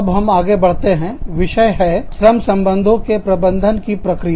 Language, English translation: Hindi, Now, we will move on to the topic of, Managing the Labor Relations Process